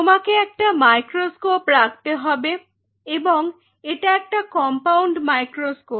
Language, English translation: Bengali, And this is a microscope which will be or compound microscope